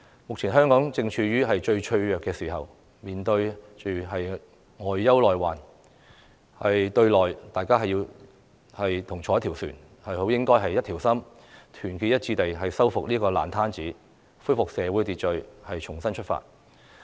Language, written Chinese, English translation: Cantonese, 目前香港正處於最脆弱的時候，面對外憂內患；對內，大家同坐一條船，好應該一條心，團結一致地修復這個爛攤子，恢復社會秩序，重新出發。, Hong Kong is in the most vulnerable time plagued by internal and external troubles . Internally as we are in the same boat we should really work together to sort out the mess restore social order and set off afresh